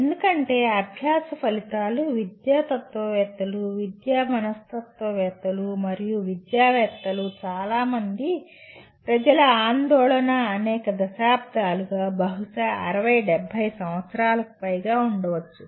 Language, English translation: Telugu, Because outcomes of learning has been the concern of educationists, education psychologists and so many people for several decades, maybe more than 60 70 years